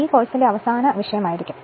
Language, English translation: Malayalam, So, next this will be the last topic for this course